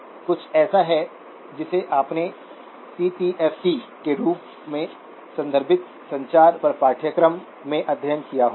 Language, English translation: Hindi, This is something that you would have studied in the course on communications referred to as CTFT